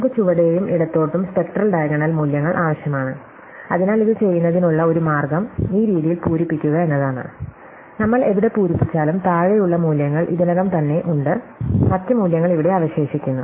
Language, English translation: Malayalam, So, we will need the values below and to the left which is spectral diagonal, so one way of doing this is to fill up this way, so that wherever we fill up, we have the values below already and we also have the other values here left